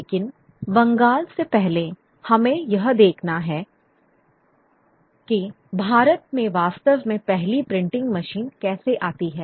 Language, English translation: Hindi, But before Bengal we need to also look at how the first printing machine actually comes about in India